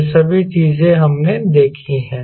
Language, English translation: Hindi, all this things we have seen